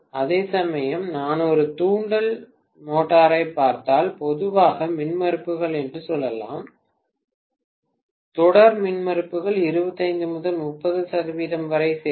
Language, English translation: Tamil, Whereas, if I look at an induction motor I can say normally the impedances, series impedances will add up to 25 to 30 percent